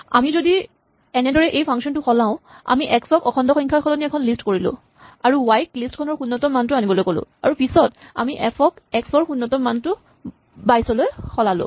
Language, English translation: Assamese, If we change this function as follows we made x not an integer, but a list for example and we asked y to pick up the 0th element in the list and then later in f we change the 0th element of x to 22